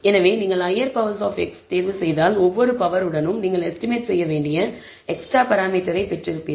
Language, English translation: Tamil, So, if you choose higher powers of x, then corresponding to each power you got a extra parameter that you need to estimate